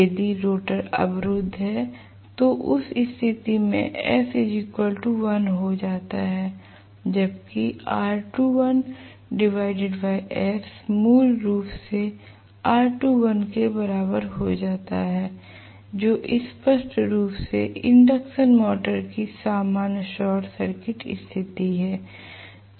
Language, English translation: Hindi, If the rotor is blocked right then in that case I am going to have s equal to 1 so r2 dash by s becomes basically equal to r2 dash itself which is very clearly the normal short circuit condition of the induction motor